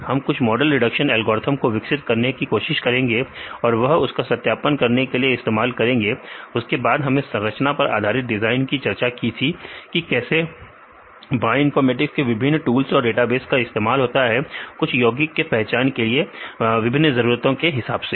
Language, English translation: Hindi, We can try to develop some models prediction algorithms and they can use it for the validation then also we discussed about the structure based design how the different aspects of this bioinformatics tools and databases are useful to identify some lead compounds for different targets